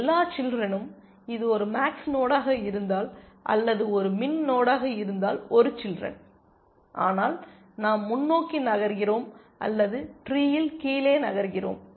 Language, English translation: Tamil, Either all children, if it is a max node or one child if it is a min node, but we are moving forward or moving down in the tree